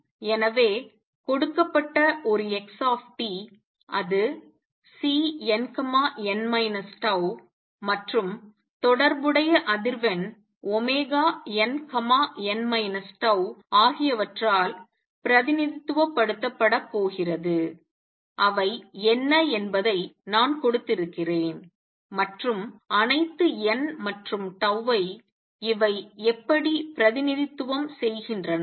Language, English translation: Tamil, So, given an xt it is going to be represented by C n, n minus tau and the corresponding frequency omega n n minus tau which I have given what they are, and all ns and taus this is how it represent